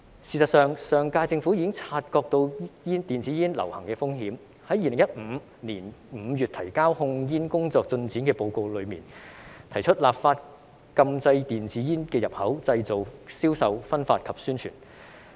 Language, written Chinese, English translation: Cantonese, 事實上，上屆政府已經察覺到電子煙流行的風險，在2015年5月提交控煙工作進展的報告中，提出立法禁制電子煙的入口、製造、銷售、分發及宣傳。, In fact the Government of the previous term was already aware of the risk of the popularity of e - cigarettes . In its report on the progress of tobacco control work submitted in May 2015 it proposed to legislate against the import manufacture sale distribution and promotion of e - cigarettes